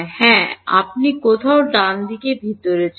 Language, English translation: Bengali, Yeah you want somewhere inside the cell right